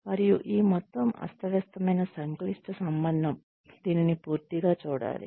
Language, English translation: Telugu, And, this whole chaotic complex relationship, that needs to be seen in toto